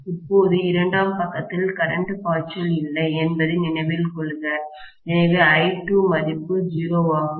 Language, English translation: Tamil, Now, please note that there is no current flowing on the secondary side, so I2 is 0